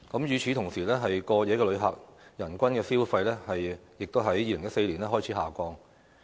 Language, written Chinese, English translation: Cantonese, 與此同時，過夜旅客人均消費亦在2014年開始下降。, At the same time the per capita spending of overnight visitors also started to drop in 2014